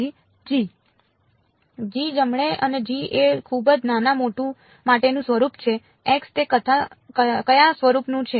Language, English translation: Gujarati, g right and g is of the form for very small x it is of what form